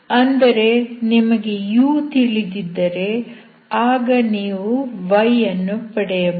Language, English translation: Kannada, That means you can solve for y if you know youru